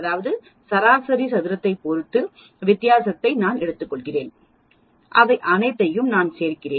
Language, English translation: Tamil, So, x bar minus x whole square that is I take the difference with respect to the average square it up then, I add all of them